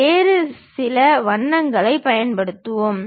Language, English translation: Tamil, Let us use some other color